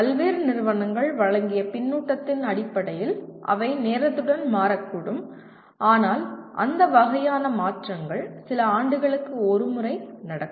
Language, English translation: Tamil, They may change with time based on the feedback given by various institutes but that kind of modifications will take place once in a few years